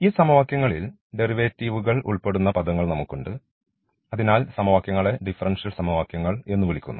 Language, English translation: Malayalam, So, we have these derivative terms involving in these equations and therefore, we call this equation as the differential equation